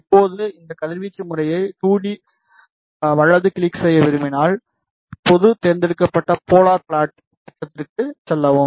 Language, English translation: Tamil, Now, if you want to check this radiation pattern in 2D plot right click then go to general select polar plot